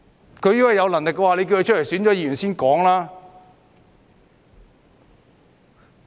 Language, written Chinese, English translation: Cantonese, 如果他們有能力，便叫他們出來參選議員。, If they are so competent they should be asked to run in the Legislative Council elections